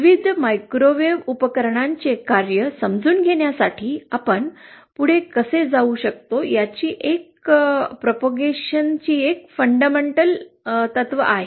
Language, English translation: Marathi, These are kind of the fundamentals of how we can go ahead to understand the operation of various microwave devices these are the fundamentals that we have to know